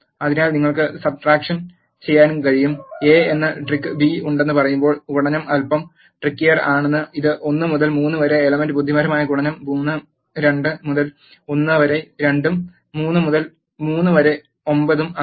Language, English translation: Malayalam, So, you can also do the subtraction, multiplication is little bit trickier when you say A has trick B it will perform element wise multiplication such as 1 into 3 is 3, 2 into 1 is 2 and 3 into 3 is 9